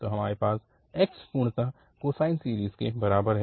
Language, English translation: Hindi, So, we have x equal to completely the cosine series